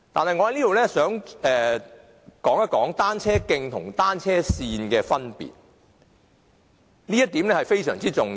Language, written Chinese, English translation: Cantonese, 我想在此說一說單車徑與單車線的分別，這點非常重要。, Here I would like to talk about the difference between cycle tracks and cycle lanes . This point is very important